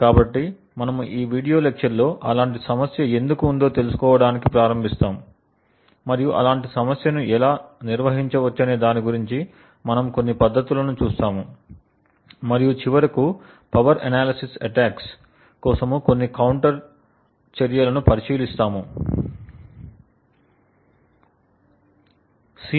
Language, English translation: Telugu, So, we will start of this video lecture with why this is such a problem and we would see a few techniques about how such a problem can be handled and finally we will look at some counter measures for power analysis attacks